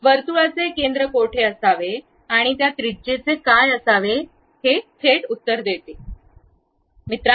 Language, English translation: Marathi, Straight away gives you where should be the center of the circle and also what should be that radius